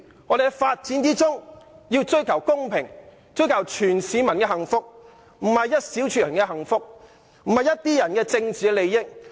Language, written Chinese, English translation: Cantonese, 我們要在發展中追求公平，以及謀取所有市民的幸福，而不是只為了一小撮人的幸福或一些人的政治利益。, We have to pursue fairness and promote the well - being of all Hong Kong people in the process of development instead of advancing only the well - being and political interests of a small group of people